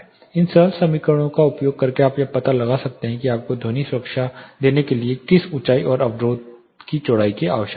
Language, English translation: Hindi, Using these simple equations you can find out what height and what width of the barrier is essential to give you sound protection